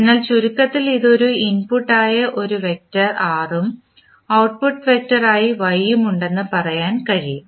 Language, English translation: Malayalam, So, in short you can say that it has a vector R as an input and vector Y as an output